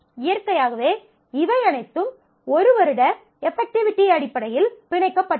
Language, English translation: Tamil, Now naturally, these are all bound in terms of one year effectivity